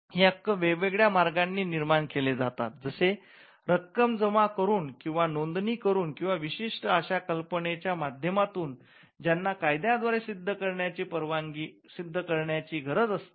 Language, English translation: Marathi, Now, the right itself is created in different ways it could be by deposit, it could be by registration, it could be by certain concepts which the law requires you to prove